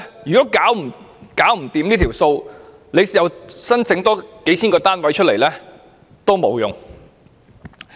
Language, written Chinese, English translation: Cantonese, 如果政府真的無力監察，即使多興建數千個單位亦沒有用。, If the Government is really unable to do so even construction of thousands of flats will be useless